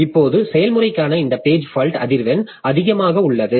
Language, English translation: Tamil, Now this page fault frequency for the process is high